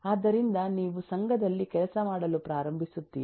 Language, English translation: Kannada, so you start working on the associations